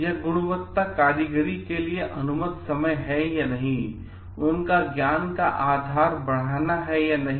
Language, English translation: Hindi, So, it is a time allowed for quality workmanship means, increasing their knowledge base or not